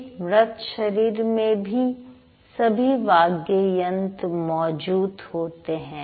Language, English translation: Hindi, The dead body also has all the voice organs